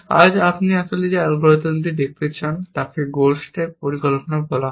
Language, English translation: Bengali, The algorithm that you want to look at today is called goal stack planning